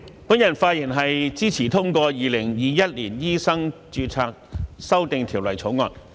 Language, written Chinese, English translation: Cantonese, 主席，我發言支持通過《2021年醫生註冊條例草案》。, President I speak in support of the passage of the Medical Registration Amendment Bill 2021 the Bill